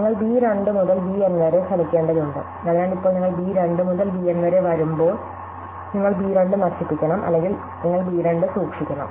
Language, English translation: Malayalam, Now, what happens you need to try b 2 to b N, so now, when you come to b 2 to b N, you have to discard b 2 or you have to keep b 2